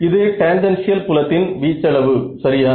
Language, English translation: Tamil, So, this is magnitude of tangential fields ok